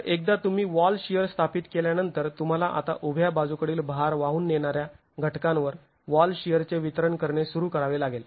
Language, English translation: Marathi, So, once you have established wall shear, you have to now start looking at distributing the wall shear to the vertical lateral load carrying elements